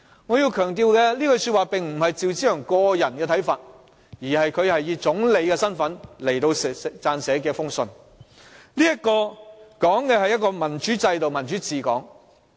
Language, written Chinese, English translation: Cantonese, "我要強調，這句話並非趙紫陽個人的看法，而是他以總理身份撰寫的一封信，信中指的是一個民主制度及民主治港。, I have to emphasize that these words did not come as Mr ZHAOs personal remarks but as part of the letter written by him in his capacity as Chinese Premier who talked about the issues on democratic political system and running Hong Kong democratically